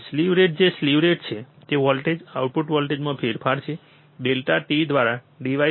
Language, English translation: Gujarati, The slew rate what slew rate is the change in the voltage output voltage, right divide by delta t